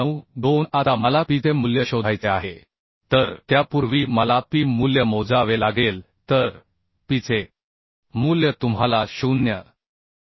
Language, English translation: Marathi, 2692 Now I have to find out phi value So phi value before that I have to calculate the phi value so phi value will be we know 0